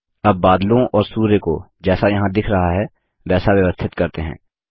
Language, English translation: Hindi, Now lets arrange the clouds and the sun as shown here